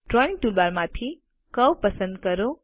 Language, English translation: Gujarati, From the Drawing toolbar, select Curve